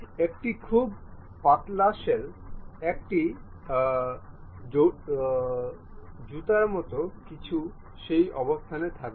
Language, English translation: Bengali, A very thin shell one will be in a position to construct something like a shoe